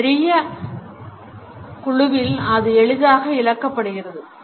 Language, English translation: Tamil, In a large group it is easily lost